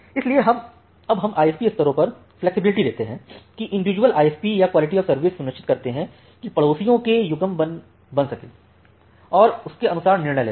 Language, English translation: Hindi, So, now we are giving the flexibility at the ISP levels that individual ISPs can ensure the pairing with or quality of service associated pairing with the neighbours and can take the decision accordingly